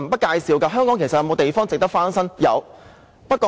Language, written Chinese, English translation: Cantonese, 香港是否還有其他地方值得翻新的呢？, Is there any place in Hong Kong that is worth renovating?